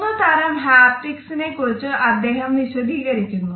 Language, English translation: Malayalam, He has also referred to three different types of haptics